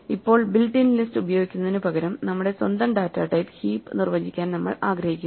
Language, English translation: Malayalam, So now, we instead of using the built in list we want to define our own data type heap